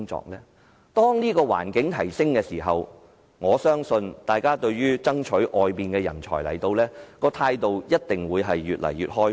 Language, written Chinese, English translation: Cantonese, 當這方面的環境有所改善時，我相信大家對於吸引海外人才來港的態度一定會越來越開放。, I believe when the environment has improved peoples attitude towards attracting overseas talent to Hong Kong will become more and more open